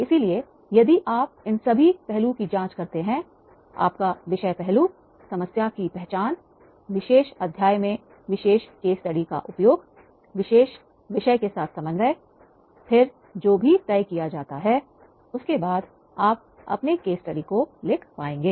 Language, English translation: Hindi, So therefore, if you examine all these aspects, your subject aspects, your topic aspects, the problem identification, the use of that particular case study relating with the particular chapter, coordinating with particular theme, then whatever you will be able to write your case study